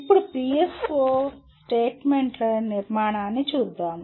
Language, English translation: Telugu, Now let us look at the structure of PSO statements